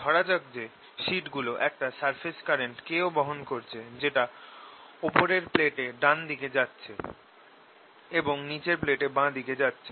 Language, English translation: Bengali, the magnitude suppose now they also carry a surface current, k, going to the right side in the upper plate and to the left in the lower plate